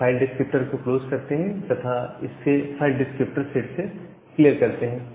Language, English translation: Hindi, So, you close that file descriptor and clear it from your file descriptor set